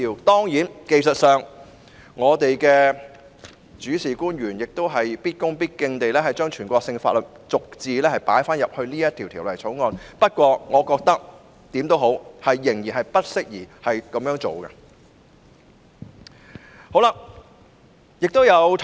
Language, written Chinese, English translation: Cantonese, 當然，技術上，我們的主事官員要必恭必敬地把全國性法律逐字加入《條例草案》內，不過我覺得，無論如何，這樣做仍然不適宜。, Of course technically the officials in charge have to include every single word of the national law in the Bill with the utmost respect . But I reckon that at any rate it is still inappropriate